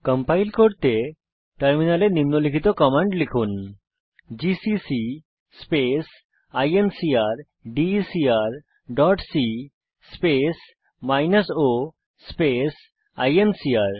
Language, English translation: Bengali, To compile type the following on the terminal gcc space incrdecr dot c space minus o space incr